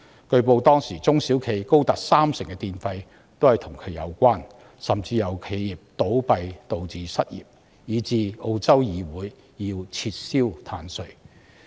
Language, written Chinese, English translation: Cantonese, 據報當時碳稅佔中小企電費高達三成，甚至因企業倒閉導致失業問題，以致澳洲議會要撤銷碳稅。, It was reported that carbon tax accounted for as high as 30 % of the electricity charges of small and medium enterprises resulting in closure of businesses and in turn unemployment problems . The Parliament of Australia thus revoked the carbon tax